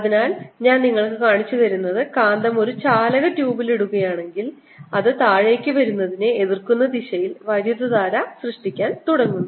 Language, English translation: Malayalam, so what i have shown you is, as the magnet is put it in the tube, a conducting tube, it starts generating current that opposes its coming down